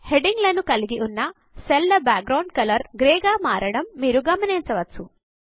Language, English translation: Telugu, You can see that the cell background for the headings turns grey